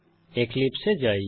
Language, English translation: Bengali, Switch to Eclipse